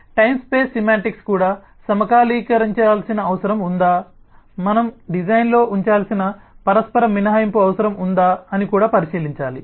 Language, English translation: Telugu, so the time space semantics also will have to look into whether there is a need for synchronizing, whether there is a need for mutual exclusion that we need to put to in the design